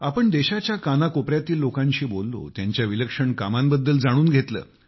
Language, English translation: Marathi, We spoke to people across each and every corner of the country and learnt about their extraordinary work